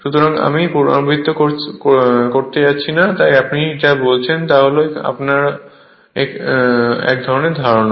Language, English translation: Bengali, So, I am not going to repeat right, so this is your what you call is some kind of your idea you have